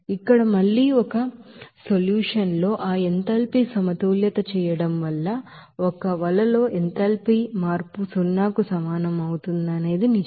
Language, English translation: Telugu, Since here again doing that enthalpy balance there in a solution, it is true that that in a net that enthalpy change will be is equal to zero